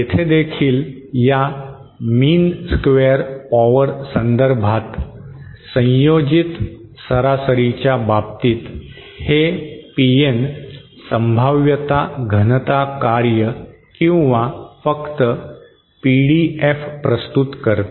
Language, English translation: Marathi, Here also, in the case of this mean square power, the ensemble average, this PN represents the probability density function or simply PDF